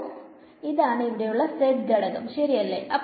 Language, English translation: Malayalam, So, this is actually the z component over here right